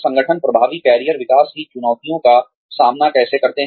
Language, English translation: Hindi, How do organizations meet challenges of effective career development